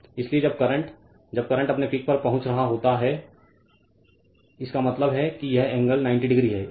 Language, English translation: Hindi, So, when current is when current is reaching its peak; that means, this angle is 90 degree